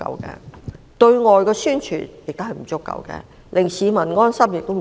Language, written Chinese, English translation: Cantonese, 此外，對外宣傳不足夠，令市民安心方面也不足。, Regarding external promotion and ensuring peace of mind of the public the efforts are inadequate